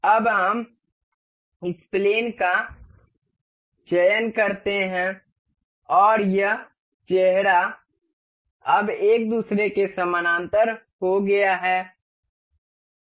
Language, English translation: Hindi, Now, let us select this plane, and this face now this has become parallel to each other